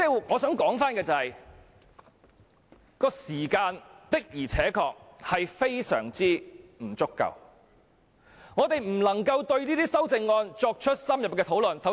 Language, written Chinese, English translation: Cantonese, 我想說的是時間確實非常不足，令我們無法就這些修訂議案進行深入的討論。, My point is that the grossly insufficient time has made it impossible for us to have any in - depth discussion on the amending motions